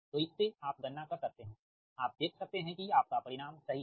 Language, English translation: Hindi, so from that you can calculate, you can see that your results are correct